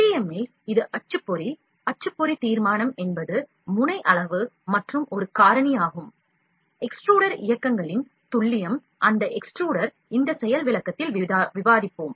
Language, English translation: Tamil, In FDM, it is the printer, the printer resolution is a factor of the nozzle size and the precision of the extruder movements, that extruder, we will discuss in this demonstration as well